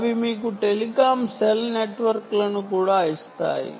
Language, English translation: Telugu, they also give you telecom cell networks